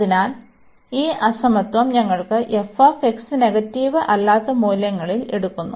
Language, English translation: Malayalam, So, we have this inequality that f x is taking in non negative values